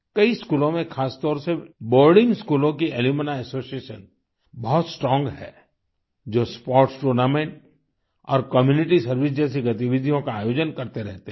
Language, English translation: Hindi, Alumni associations are robust in many schools, especially in boarding schools, where they organize activities like sports tournaments and community service